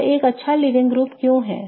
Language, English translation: Hindi, Why is this a good leaving group